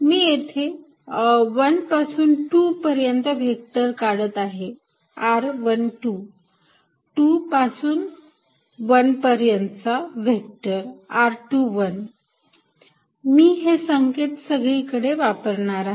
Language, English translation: Marathi, So, let me write vector from 1 2 as r 1 2, vector from 2 to 1 as r 2 1, I follow this convention all throughout